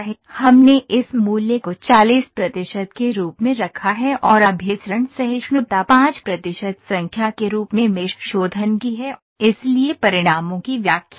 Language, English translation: Hindi, We have put this value as 40 percent and convergence tolerance is as 5 percent number of mesh refinements as 6 so, interpreting the results